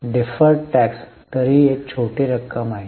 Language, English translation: Marathi, Differ taxes anyway is a very small amount